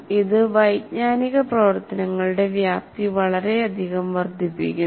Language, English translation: Malayalam, It greatly enlarges the scope of cognitive activities